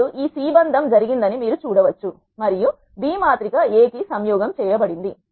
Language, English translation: Telugu, Now, you can see that this C bind it happened and the B is concatenated to the matrix A